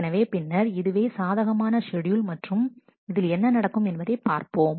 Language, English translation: Tamil, So, then this is a possible schedule and let us see what will happen